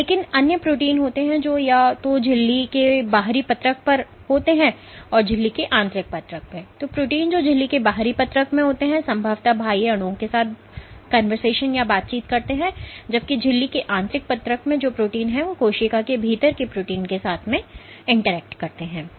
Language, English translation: Hindi, So, proteins which are in the outer leaflet of the membrane would presumably be interacting with extracellular molecules, while proteins in the inner leaflet of the membrane would interact with proteins within the cell